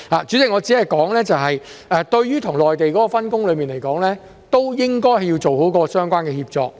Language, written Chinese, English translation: Cantonese, 主席，我只是說，對於跟內地的分工，應該要做好相關的協作。, President I am just saying that the division of labour with the Mainland should be done in a collaborative manner